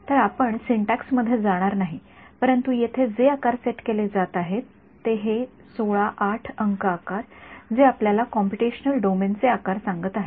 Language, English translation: Marathi, So, we would not get into syntax, but what is being set over here this size is 16 8 no size this is telling you the size of the computational domain